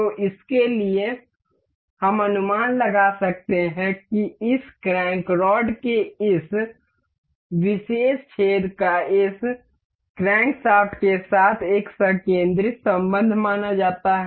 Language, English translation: Hindi, So, for this, we can guess that this this particular hole in this crank rod is supposed to be supposed to have a concentric relation with this crankshaft